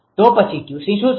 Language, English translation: Gujarati, Then what is the Q c